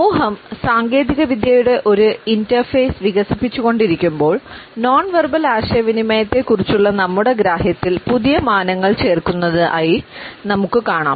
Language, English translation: Malayalam, As a society is developing with the interface of technology we find that newer dimensions in our understanding of nonverbal communication are being added